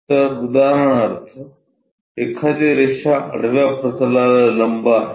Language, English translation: Marathi, So, for example, one of the line if it is perpendicular to horizontal plane